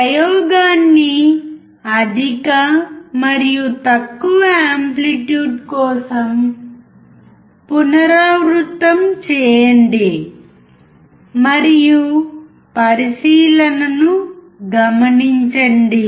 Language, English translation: Telugu, Repeat the experiment for higher and lower amplitude and note down the observation